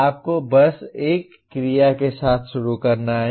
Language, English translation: Hindi, You just have to start with an action verb